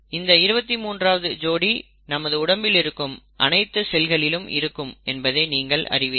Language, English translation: Tamil, And the 23 pairs are found in each cell in each body, that that you already know